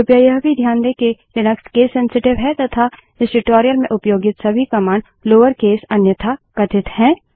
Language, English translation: Hindi, Please also note that Linux is case sensitive and all the commands used in this tutorial are in lower case unless otherwise mentioned